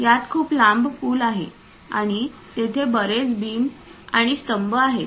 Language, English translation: Marathi, It contains a very long bridge and many beams and columns are there